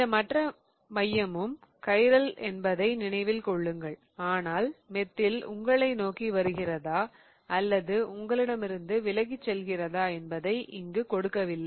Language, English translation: Tamil, Remember, this other center is also chiral, but they have not given whether the methyl is coming towards you or going away from you